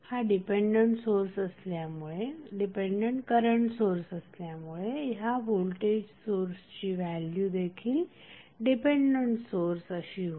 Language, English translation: Marathi, The value of the voltage source that is definitely would be the dependent voltage source because this is the dependent current source